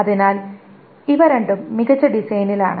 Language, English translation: Malayalam, So these two are in a better design